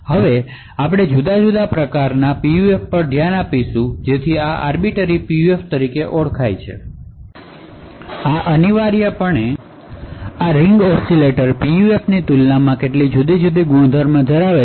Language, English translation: Gujarati, So, we will now look at different kind of PUF so this is known as Arbiter PUF and essentially this has certain different properties compared to the Ring Oscillator PUF that we have seen